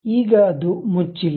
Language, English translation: Kannada, Now, it is not a closed one